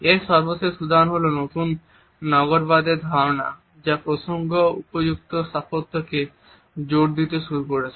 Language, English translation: Bengali, The latest example of it is the concept of new urbanism which has started to emphasis the context appropriate architecture